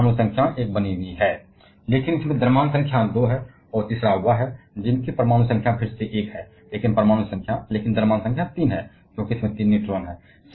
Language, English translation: Hindi, So, the atomic number remains one, but the mass number is 2 in this case and the third one, which has atomic number of one again, but a mass number of 3 because it has 3 neutrons